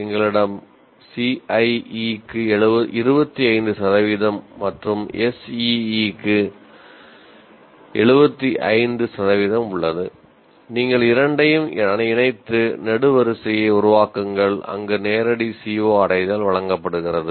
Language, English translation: Tamil, You have 25% weightage for CIE and 75 for SE and you combine the two and produce the table, produce the column where the direct CO attainment is present